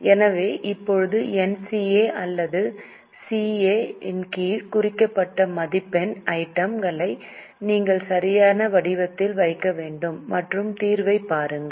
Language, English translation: Tamil, So, now the marks items which were marked under NCA or CA, you have to put in a proper format and have a look at the solution